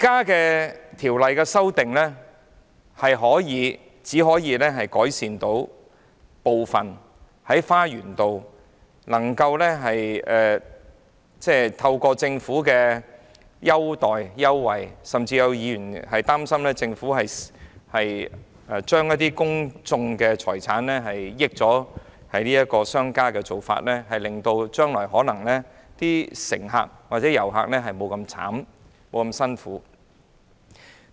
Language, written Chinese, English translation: Cantonese, 現時的修訂建議只可改善花園道纜車站的部分問題，透過政府提供的優惠，甚至有議員擔心是批出公眾財產讓商家得益的做法，令乘客及遊客將來候車時或可不用這麼辛苦。, The current proposed amendments can only improve some of the problems at the Garden Road Peak Tram Lower Terminus and may bring some relief to waiting passengers and tourists . Some Members are worried that the offer of favourable terms by the Government is tantamount to using public properties to benefit private business